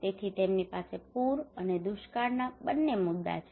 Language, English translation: Gujarati, So they have both issues of flood and drought